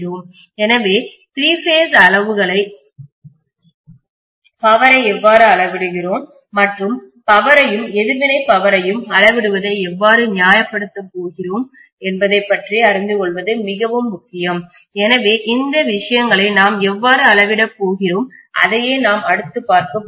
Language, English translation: Tamil, So it’s very important to learn about three phases quantities, how we measure power, and how we are going to actually justify measuring the power and reactive power, so how we are going to measure these things that is what we are going to see next